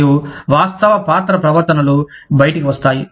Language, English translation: Telugu, And, the actual role behaviors, are the output